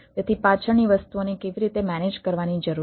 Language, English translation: Gujarati, so how things at the background need to be manage